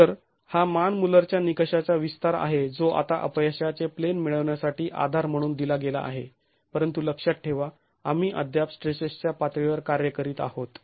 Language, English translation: Marathi, So, this is the extension of the Manmuller criterion which is now given as a basis to get a failure plane but mind you we are still working at the level of stresses